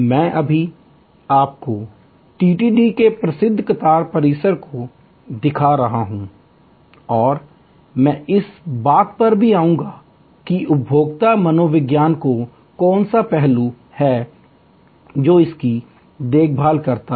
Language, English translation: Hindi, I will just now showing you the famous queue complex of TTD and I will just come to it that what consumer psychology aspect it takes care off